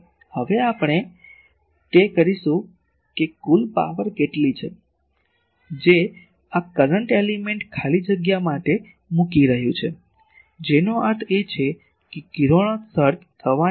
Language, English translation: Gujarati, So, next we will do that what is the total power that, this current element is putting to free space; that means, what is the total amount of radiation taking place